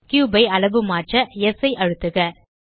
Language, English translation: Tamil, Press S to scale the cube